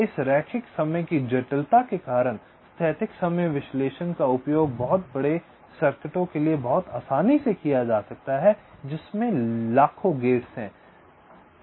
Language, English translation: Hindi, because of this linear time complexity, the static timing analysis can be very easily used for very large circuits comprising of millions of gates as well